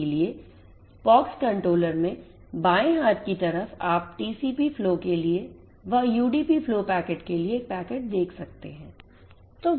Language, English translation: Hindi, So, you can in the left hand side at the pox controller you can see a packet in for UDP flows packet in for TCP flow